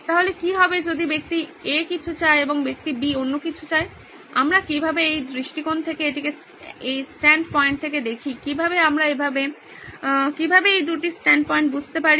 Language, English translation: Bengali, So what is that person A wants something and person B wants something else, how do we look at this it from this perspective from this stand points from how do we understand both these stand points